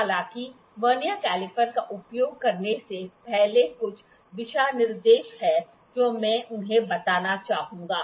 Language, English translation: Hindi, However, there are certain guidelines before using the Vernier caliper I would like to tell them